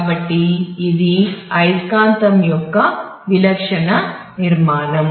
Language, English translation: Telugu, So, that is a typical structure of a magnetic